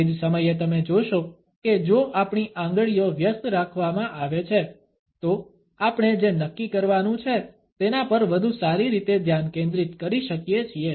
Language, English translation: Gujarati, At the same time you would find that, if our fingers are kept busy, we are able to better concentrate on what we have to decide